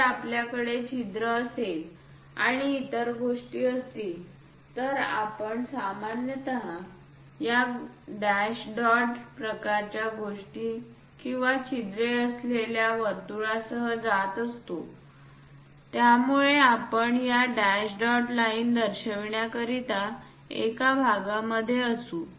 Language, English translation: Marathi, If we have hole and other things, we usually go with this dash dot kind of things or a circle with holes also we will be in a portion to show this dash dot lines